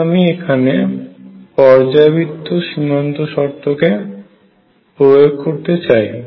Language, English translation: Bengali, Now, if I applied the periodic boundary conditions here